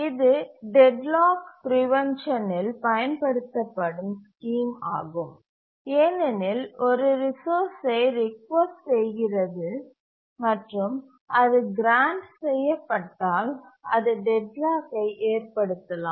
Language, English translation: Tamil, And this is the scheme that is used for deadlock prevention because if it requests a resource and it's just granted it can cause deadlock